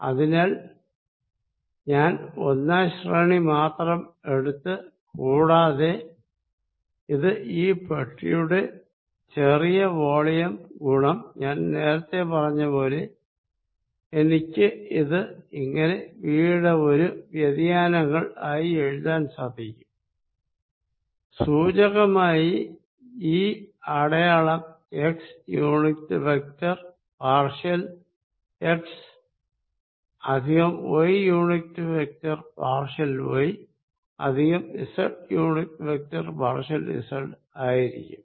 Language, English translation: Malayalam, So, I kept only the first order and which is nothing but small volume of this box times what I said earlier, I am going to write it as a diversions of v where, symbolically this symbol is going to be x unit vector partial x plus y unit vector partial y plus z unit vector partial z